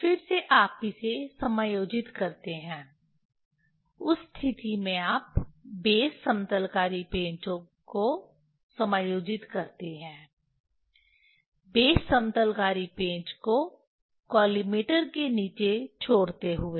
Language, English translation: Hindi, Again you adjust the in that case you adjust the base leveling screw leaving the base leveling screw below the collimator